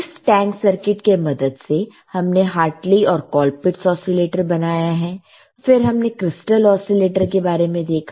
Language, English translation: Hindi, And using tank circuit, we have constructed a Hartley, we have constructed the Colpitts oscillator, then we have seen the crystal oscillators